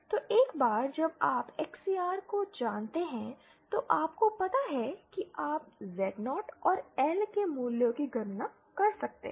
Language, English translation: Hindi, So once you know XCR upon you know C you can calculate the value of Z0 and the L